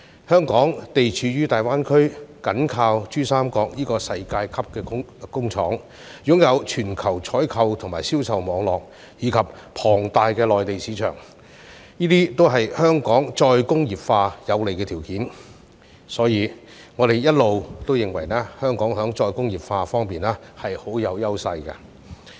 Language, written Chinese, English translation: Cantonese, 香港地處大灣區，緊靠珠三角這個世界級工廠，擁有全球採購及銷售網路，以及龐大的內地市場，這些也是香港再工業化的有利條件，所以我們一直認為，香港在再工業化方面是很有優勢的。, Located in the Greater Bay Area and in close proximity to the Pearl River Delta which is a world - class factory Hong Kong possesses a global sourcing and sales network as well as a huge market in the Mainland . These are also favourable conditions for the re - industrialization of Hong Kong . Therefore we always believe that Hong Kong is well - positioned for re - industrialization